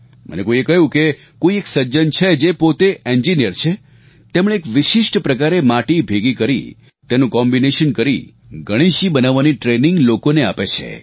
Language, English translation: Gujarati, Someone told me about a gentleman who is an engineer and who has collected and combined special varieties of clay, to give training in making Ganesh idols